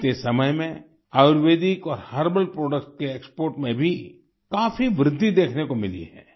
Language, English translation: Hindi, In the past, there has been a significant increase in the export of Ayurvedic and herbal products